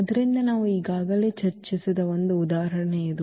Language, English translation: Kannada, So, this was the one example which we have already discussed before